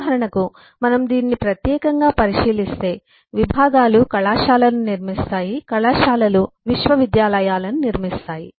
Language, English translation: Telugu, for example, if we look into this particular, that departments eh build up colleges, colleges build up universities